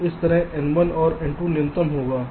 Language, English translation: Hindi, ok, so this will be the minimum of this n one and n two